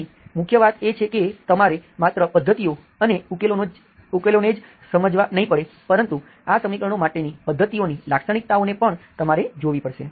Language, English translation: Gujarati, Main thing is you have to understand the not just methods and solutions, and also look at the characteristics of these methods, of these equations